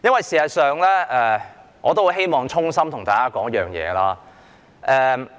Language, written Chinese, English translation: Cantonese, 事實上，我希望衷心對大家說一件事。, In fact I want to tell you something from the bottom of my heart